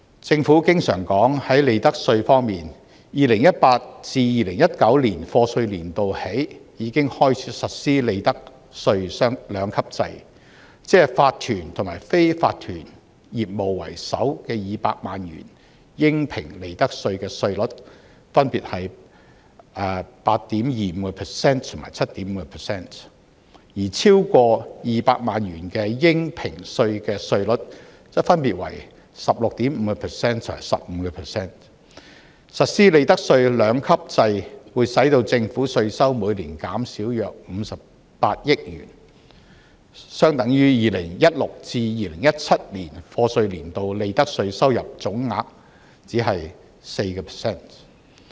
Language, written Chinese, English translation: Cantonese, 政府經常說在利得稅方面 ，2018-2019 課稅年度已開始實施利得稅兩級制，即法團及非法團業務的首200萬元應評利得稅稅率分別為 8.25% 和 7.5%， 而超過200萬元的應評稅稅率則分別為 16.5% 和 15%， 實施利得稅兩級制會令政府稅收每年減少約58億元，相等於 2016-2017 課稅年度利得稅收入總額僅 4%。, Besides the amount of tax concession on profits tax involved is less than 3 billion . Enterprises in Hong Kong SMEs in particular are prone to be affected by economic fluctuations so the Government needs to step up its effort suitably to render assistance . The Government often says that in terms of profits tax a two - tiered profits tax rates regime was implemented starting from 2018 - 2019 year of assessment which means the profits tax rates for the first 2 million assessable profits are 8.25 % for corporations and 7.5 % for unincorporated businesses respectively whereas the rate for assessable profits exceeding 2 million is 16.5 % for corporations and 15 % for unincorporated businesses